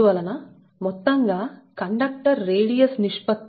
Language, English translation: Telugu, therefore the overall conductor radius is three r